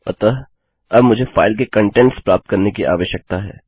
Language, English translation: Hindi, So, now, I need to get the contents of the file